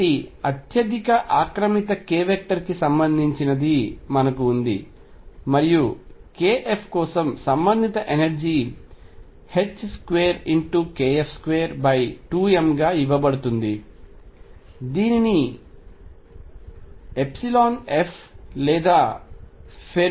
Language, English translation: Telugu, So, we have related what is the highest occupied k vector and the corresponding energy for k f is given as h crosses square k f square over 2 m which is known as the epsilon f of Fermi energy